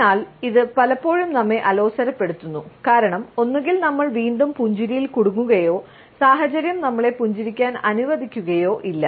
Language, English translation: Malayalam, So, it can be often irritating to us, because either we are trapped into smiling back or the situation does not allow us to a smile at all